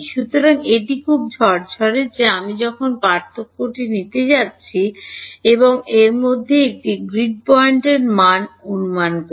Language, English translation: Bengali, So, it is very neat that when I am taking the difference and approximating the value at a grid point in between